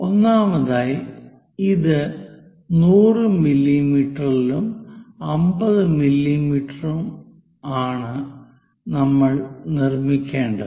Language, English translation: Malayalam, First of all, this is 100 mm by 50 mm; we have to construct it